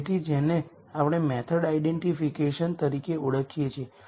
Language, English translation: Gujarati, So, this is what we call as method identification